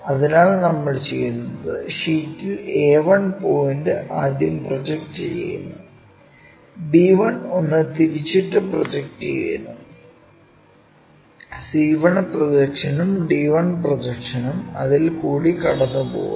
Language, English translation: Malayalam, So, what we do is on the sheethere a 1 point we project it all the way up, b 1 also rotated one we project it all the way up, c 1 projection, d 1 projection goes through that